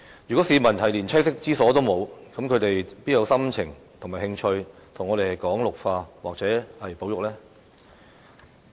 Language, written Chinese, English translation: Cantonese, 如果市民連棲息之所亦欠奉，他們還有心情和興趣與我們討論綠化或保育嗎？, If people do not have a home how can they possibly have the mood and interest to discuss greening or conservation with us?